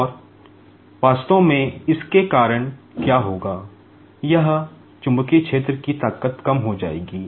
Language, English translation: Hindi, And, due to that actually, what will happen is, the strength of the magnetic field here will be reduced